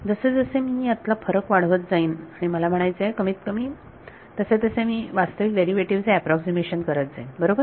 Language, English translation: Marathi, As I make the dis the differences more and I mean smaller and smaller I am going to approximate the actual derivative right